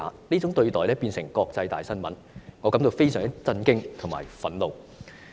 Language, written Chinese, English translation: Cantonese, 這種對待成為國際大新聞，我感到非常震驚及憤怒。, I was extremely shocked and outraged by such treatment which made international headlines